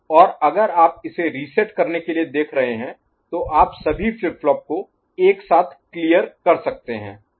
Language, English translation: Hindi, And if you are looking for resetting it, clearing it then you can do all the flip flops together right; so, it is a common clear